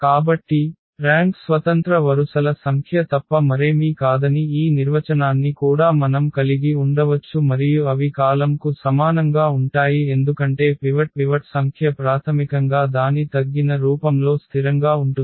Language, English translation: Telugu, So, we can have also this definition that the rank is nothing but the number of independent rows and they are the same the column because the number of pivots are basically fixed in its reduced form